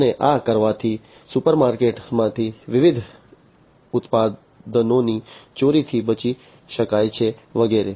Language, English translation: Gujarati, And by doing so it is possible to avoid theft of different products from the supermarkets and so on